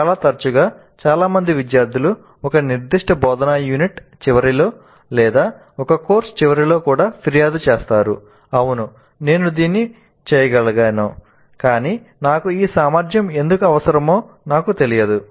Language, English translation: Telugu, Quite often it happens that many students do complain at the end of a particular instructional unit or even a course that yes I am capable of doing it but I really do not know why I need to have this competency